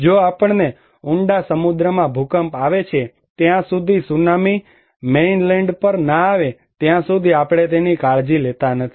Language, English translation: Gujarati, If we have earthquake in deep sea, we do not care unless and until the Tsunami comes on Mainland